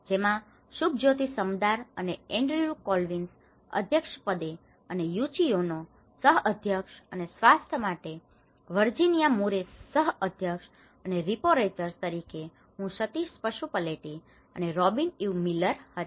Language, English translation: Gujarati, On the chairs of Subhajyoti Samadar and Andrew Collins, Co Chairs are Yuichi Ono and for health Virginia Murray and rapporteurs myself from Sateesh Pasupuleti and Robyn Eve Miller